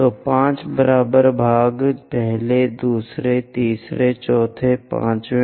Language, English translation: Hindi, So, 5 equal parts first, second, third, fourth, fifth